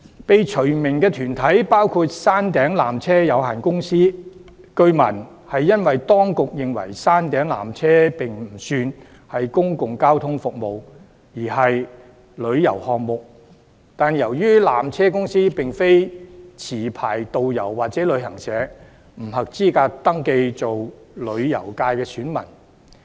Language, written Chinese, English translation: Cantonese, 被除名的團體包括山頂纜車有限公司，據聞是因為當局認為山頂纜車不算是公共交通服務，而是旅遊項目，但由於纜車公司並非持牌導遊或旅行社，故此不合資格登記為旅遊界選民。, The Peak Tramways Company Limited PTC is one of the corporates being removed . It is learnt that the authorities consider that the Peak Tram is not a public transportation service but a tourism infrastructure instead . Yet as PTC is not a licensed tourist guide or travel agent it is ineligible to register as an elector of the Tourism Constituency